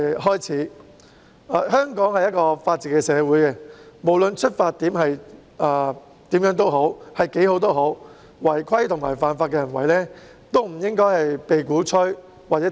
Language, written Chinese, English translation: Cantonese, 香港是法治社會，無論出發點為何或有多好，亦不應鼓吹或提倡違規和犯法的行為。, Hong Kong is a society that upholds the rule of law so acts violating the regulations and in breach of the law should not be encouraged or advocated no matter what their intention is and how lofty it is